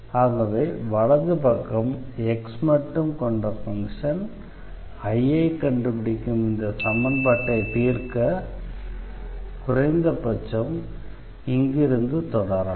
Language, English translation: Tamil, So, the right hand side should be the function of x at least to proceed from here to solve this differential equation for I